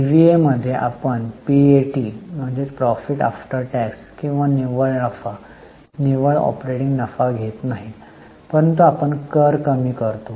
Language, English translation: Marathi, In EVA, we take no pat or net profit, net operating profit, but we reduce taxes